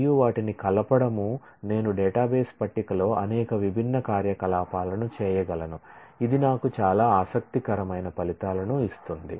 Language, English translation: Telugu, And combining them I can do several different operations in a database table which can give me several interesting results